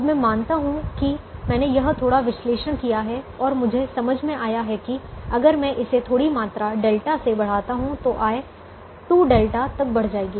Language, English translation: Hindi, now let me assume that i have done this little analysis and i have understood that if i increase it by a small quantity delta, the the revenue will increase by two delta